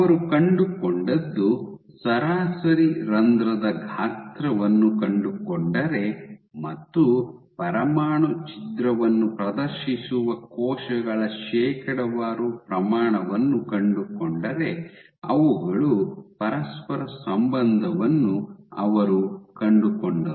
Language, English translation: Kannada, And what they found; if you find out the average pore size and you find the percentage of cells which exhibit nuclear rupture, they found a correlation ok